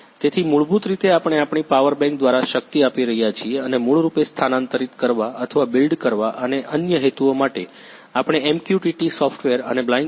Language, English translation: Gujarati, So, basically we are powering through our a power bank and to basically transfer or to build and for other purposes, we are using MQTT softwares and Blynk app